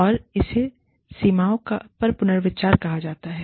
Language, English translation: Hindi, And, it is called, reconsidering boundaries